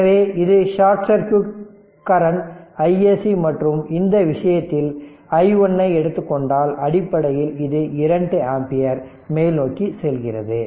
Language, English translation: Tamil, So, this is the short circuit current i SC right and in this case in this case we at here we are taking i 1 and it is i 1 also this basically it is 2 ampere going upwards